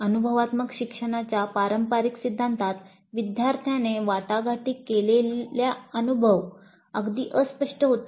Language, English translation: Marathi, In the traditional theory of experiential learning, the experience negotiated by the learner was quite vague